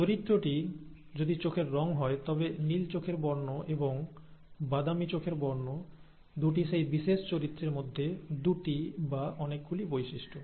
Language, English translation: Bengali, So, if the character happens to be eye colour, blue eye colour and brown eye colour are the two traits, or many, two of the many traits of that particular character